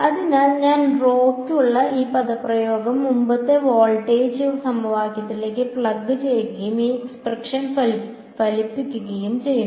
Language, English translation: Malayalam, So, I plug this expression for rho into the previous voltage equation and outcomes this expression